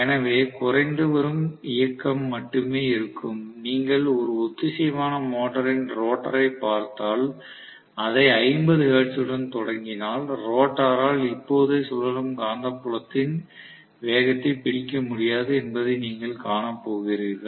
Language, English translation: Tamil, So, there will be only a dwindling motion, if at all you look at the rotor of a synchronous motor, if you start off with 50 hertz right away, you are going to see that the rotor will not be able to catch up with the revolving magnetic field speed right away